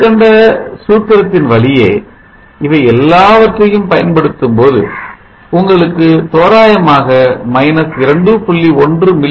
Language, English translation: Tamil, And you will see that if you apply all these to the above formula you will get approximately – 2